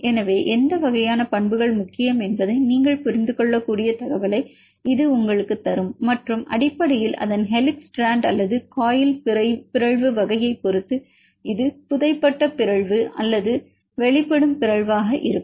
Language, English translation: Tamil, So, for this will give you which type of information that you can understand which properties are important and depending upon the mutation type what is this a buried mutation or exposed mutation basically its helix, strand or coil